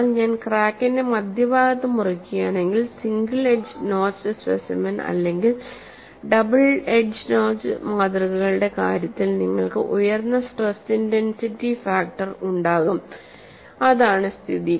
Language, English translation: Malayalam, But if I cut along the center of the crack, which is what is the case, in the case of a single edge notched specimen or double edge notched specimens, you will have a higher stress intensity factor and the crack will open up more; and what would be the case